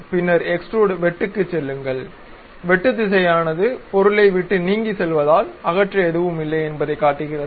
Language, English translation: Tamil, Then go to extrude cut; the cut direction shows that away from the object nothing to remove